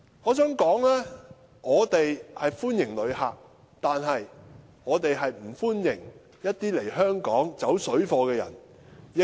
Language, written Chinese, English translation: Cantonese, 我想說的是，我們歡迎旅客，但我們不歡迎一些來香港"走水貨"的人。, What I would like to say is that we welcome visitors but we do not welcome people who come to Hong Kong to engage in parallel trading